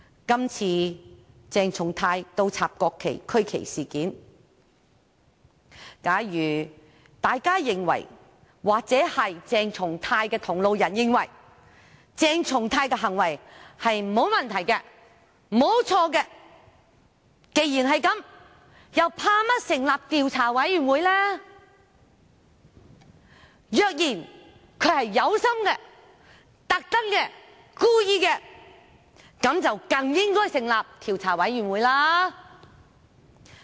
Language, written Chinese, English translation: Cantonese, 今次鄭松泰議員倒轉擺放國旗及區旗事件，假如大家或鄭松泰議員的同路人認為鄭松泰議員的行為沒有問題、沒有錯，那麼他們為甚麼害怕成立調查委員會？, If everyone or his allies believe that there is nothing wrong with Dr CHENG Chung - tais behaviour then why are they afraid of the establishment of an investigation committee?